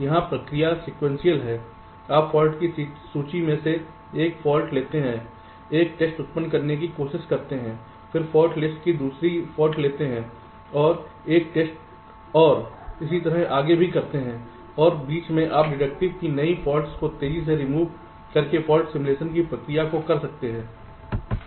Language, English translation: Hindi, here the process is sequential: you take one fault from the fault list, try to generate a test, then take the seven fault from the fault list, generate a test, and so on, and in between you can carry out fault simulation to speed up the process by removing some of the faults which are also getting detected right